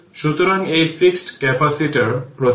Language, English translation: Bengali, So, this is the fixed capacitor symbol